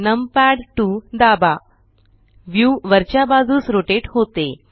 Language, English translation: Marathi, Press numpad 2 the view rotates upwards